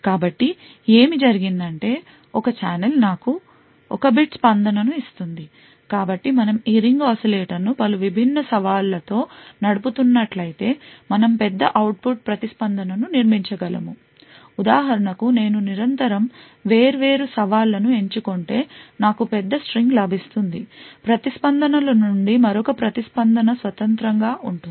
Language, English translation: Telugu, So what is done is that this one challenge gives me one bit of response, so if we actually run this ring oscillator with multiple different challenges we could build larger output response so for example, if I continuously choose different challenges I would get a larger string of responses, each response is independent of the other